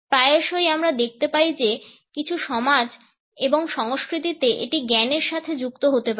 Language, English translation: Bengali, Often we find that in certain societies and cultures, it may be associated with wisdom